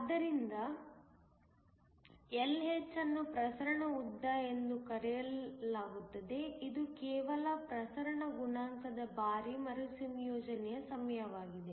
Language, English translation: Kannada, So, Lh is called the diffusion length which is just the diffusion coefficient times the recombination time